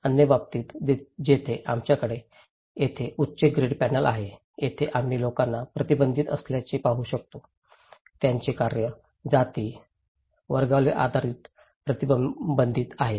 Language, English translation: Marathi, In other case, where extreme we have high grid panel here, we can see that people are restricted; their activities are restricted based on caste, creed, class